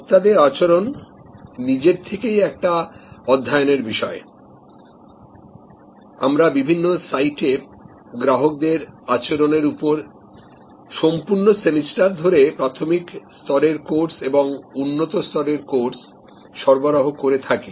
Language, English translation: Bengali, Consumer behavior is a subject of study by itself, we offered full semester courses on different sight consumer behavior basic as well as consumer behavior advanced